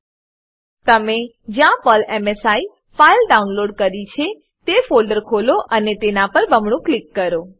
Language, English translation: Gujarati, Open the folder where you have downloaded PERL msi file and double click on it